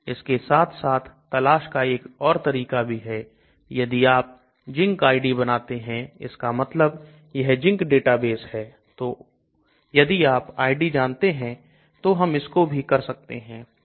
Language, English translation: Hindi, In addition there is another search or if you know the zinc ID that means this is called a zinc database so if you know the ID we can do that also